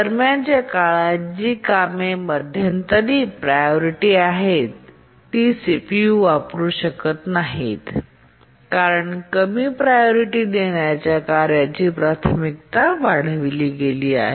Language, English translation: Marathi, And in the meanwhile, tasks which are of intermediate priority, they cannot use the CPU because the priority of the low priority task has been enhanced